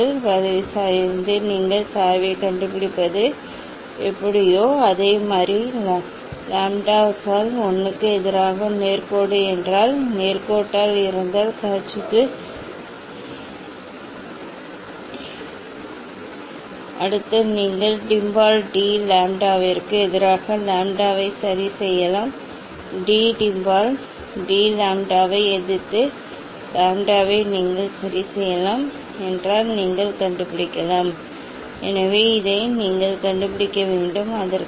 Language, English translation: Tamil, From slope of this curve, so how to find out the slope you know from the slope of this curve you will get the wavelength And if it is straight line mu versus 1 by lambdas, if it is straight line this Cauchy s relation is verified And from here from this easily you can find out the value A and value B next you can you can plot d mu by d lambda versus lambda ok, d mu by d lambda versus lambda if you so then you can find out, so that is as I told that you can find out this one